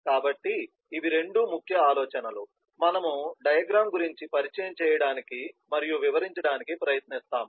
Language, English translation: Telugu, so these are the two key ideas, concepts that we will try to introduce and detail out on the sequence diagram